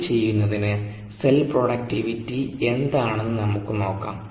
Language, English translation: Malayalam, to do that, let us see what the cell productivities are